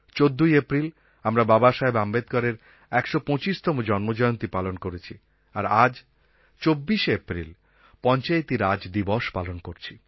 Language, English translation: Bengali, We celebrated 14th April as the 125th birth anniversary of Babasaheb Ambedekar and today we celebrate 24th April as Panchayati Raj Day